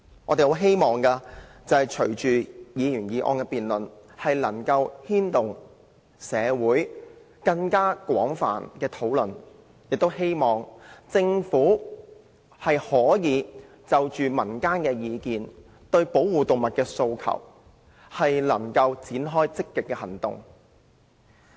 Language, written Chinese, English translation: Cantonese, 我們希望是次辯論能帶動更廣泛的社會討論，亦希望政府可聽取民間意見，對保護動物的訴求展開積極行動。, We hope that this debate will give impetus to more extensive discussion in the community and that the Government will take on board public views and take proactive action to address the requests for animal protection